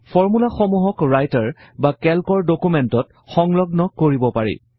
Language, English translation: Assamese, The formulae can be embedded into documents in Writer or Calc